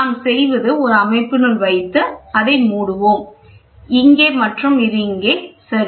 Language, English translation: Tamil, So, what we do is let us put it inside a system and close it, here and this is here, ok